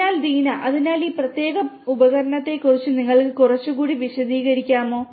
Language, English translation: Malayalam, So, Deena, so could you explain little bit further about this particular instrument